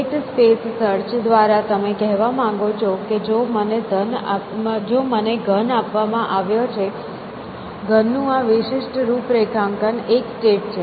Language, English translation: Gujarati, So, what do you mean by state space search, that I am given the cube, this particular configuration of this cubic cube is a state